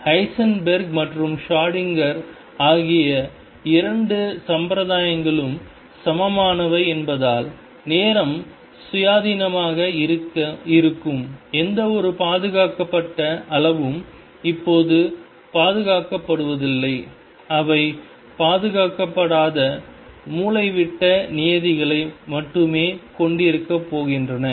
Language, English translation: Tamil, Now, again you will see that since the two formalism Heisenberg and Schrodinger are equivalent any conserved quantity that is time independent is going to have only diagonal terms quantities which are not conserved are going to have off diagonal terms also